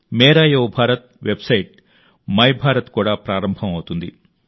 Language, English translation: Telugu, Mera Yuva Bharat's website My Bharat is also about to be launched